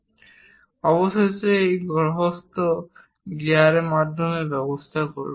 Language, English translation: Bengali, So, here let us look at that planetary gear